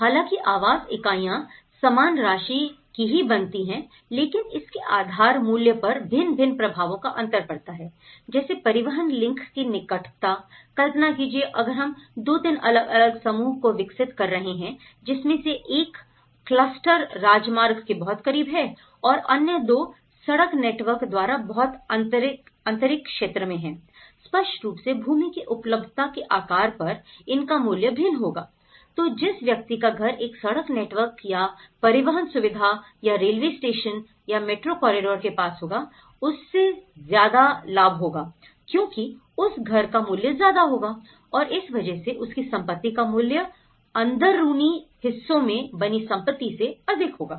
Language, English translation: Hindi, Though the housing units cause the same amount but the value differs depending on the proximity of transport links imagine, if we are developing 2, 3 different clusters let’s say one cluster is very close to the highway, the road network and the other two are much interior depending on the land availability so obviously, it value differs so, the person who got a benefit of getting near the road network or the transport facility or a railway station or a metro corridor, so it will be his value; his property value is more higher than the one who was staying in the interiors